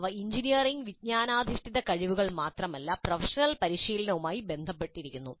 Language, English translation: Malayalam, They are not necessarily only engineering knowledge based competencies, but they are also related to the professional practice